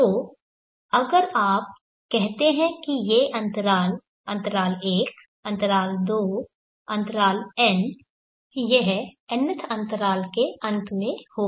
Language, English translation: Hindi, So if you say these intervals, interval one, interval two, interval n this will be at the end of the nth interval